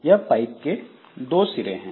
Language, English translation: Hindi, So, there are two ends of a pipe